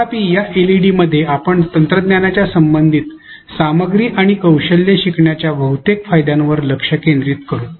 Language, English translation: Marathi, However, in this LED we will mostly focus on the relative advantage of technology in learning of content and skills